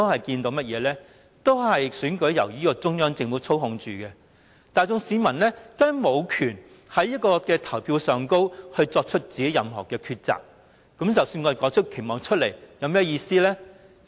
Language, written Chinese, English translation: Cantonese, 自第一屆起，選舉均由中央政府操控，市民大眾根本無權透過選票作出自己的抉擇，因此，即使我們說出了期望，又有甚麼意思呢？, Since the first Chief Executive Election the Central Government has been manipulating the whole electoral process and the people have never been able to make their own choices through the ballot box . Hence what is the point of talking about our expectations?